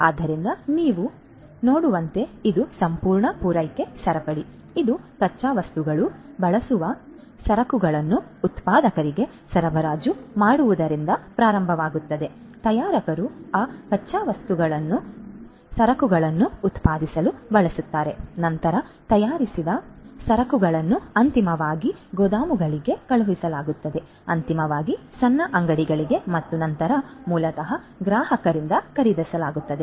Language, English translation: Kannada, So, as you can see this is the whole supply chain; this is this whole supply chain all right, it starts with the raw materials, procurement supply use being delivered to the manufacturers, the manufacturers use those raw materials to produce the goods the goods are then the manufactured goods are then distributed sent to the warehouses finally, to the little shops and then are basically purchased by the customers